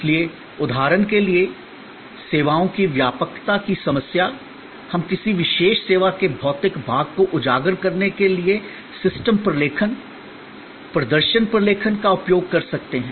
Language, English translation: Hindi, So, for example, the problem of generality of services, we can use system documentation, performance documentation to highlight the physical part of a particular service